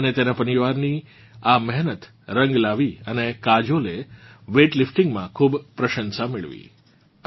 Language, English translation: Gujarati, This hard work of hers and her family paid off and Kajol has won a lot of accolades in weight lifting